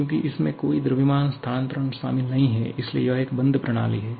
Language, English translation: Hindi, As there is no mass transfer involved, so it is a closed system